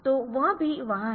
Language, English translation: Hindi, So, that is also there